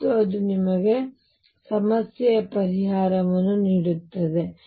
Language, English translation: Kannada, And that gives you the solution of the problem